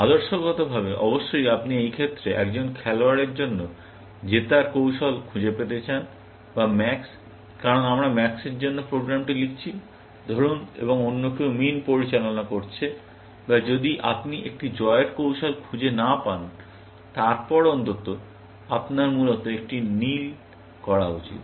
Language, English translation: Bengali, Ideally, of course, you want to find a winning strategy for a player, or max, in this case, because we are writing the program for max, let say, and somebody else is handling min, or if you cannot find a winning strategy, then at least, you should blue one, essentially